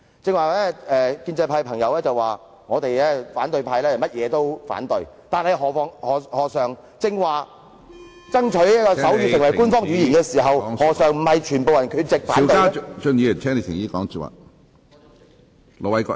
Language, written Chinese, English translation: Cantonese, 剛才建制派同事指反對派議員最愛每事反對，但在剛才爭取手語成為官方語言時，他們何嘗不是全部缺席反對呢？, But when the motion on striving to make sign language an official language was discussed just now they were all absent to show their opposition right?